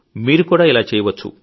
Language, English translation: Telugu, You too can do that